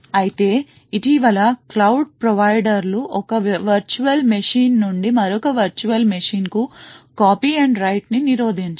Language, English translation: Telugu, So however, very recently cloud providers have prevented copy on write from one virtual machine to another virtual machine